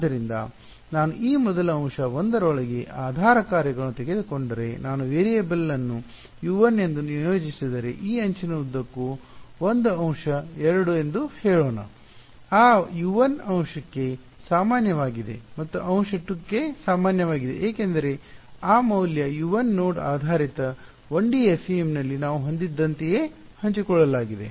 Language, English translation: Kannada, So, if I take the basis functions inside this first element 1, let us say an element 2 along this edge if I assign the variable to be U 1 then that U 1 is common for element 1 and its common for element 2 because that that value U 1 is shared is it like what we had in the node based 1D FEM